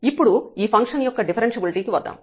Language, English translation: Telugu, So, this is useful in testing the differentiability of the function